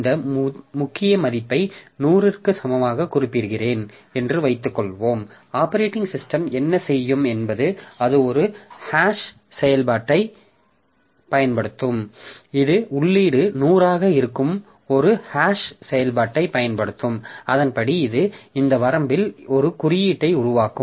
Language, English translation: Tamil, So, suppose I mention this key value equal to 100 what the operating system will do is that it will use a hash function, it will use a hash function where input is this 100 and accordingly it will generate an index in this range